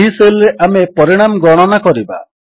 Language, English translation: Odia, We shall use this cell to compute the result